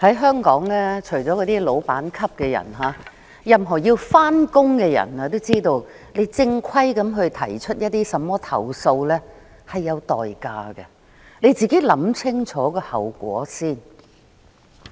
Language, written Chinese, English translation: Cantonese, 在香港，除了老闆級的人，任何要上班的人也知道，正規地提出一些投訴是有代價的，自己要想清楚後果。, In Hong Kong except those at the bosses level everyone who has to work knows that there will be a price to pay for lodging a complaint formally . So one must think about the consequences thoroughly before lodging one